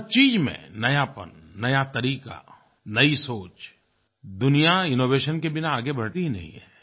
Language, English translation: Hindi, Everything should be new, new ways and new thinking after all the world does not move ahead without innovation